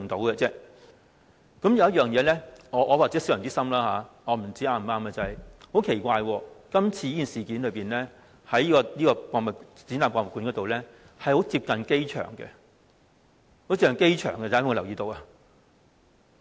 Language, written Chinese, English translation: Cantonese, 或許我是小人之心，我不知道是否正確，很奇怪，發生今次事件的亞洲國際博覽館非常接近機場，大家有沒有留意？, You may think that I am overly suspicious and I also do not know whether you suspicion is justified . I mean to say that very strangely the incident occurred in the AsiaWorld - Expo which is very close to the airport . Have you all noticed that?